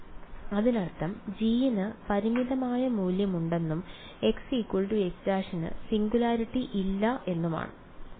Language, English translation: Malayalam, Does that mean that G has a finite value and x equal to x prime there is no singularity